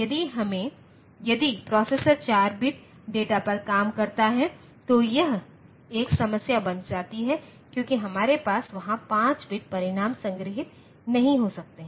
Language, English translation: Hindi, So, if the processor operates on 4 bit data then this becomes a problem, so we cannot have a 5 bit result stored there